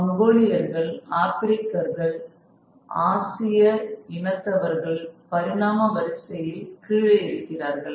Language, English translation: Tamil, The Mongoloid and the African and the Asian races are below that in order of that order of evolution